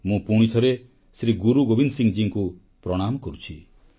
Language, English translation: Odia, I once again bow paying my obeisance to Shri Guru Gobind Singh ji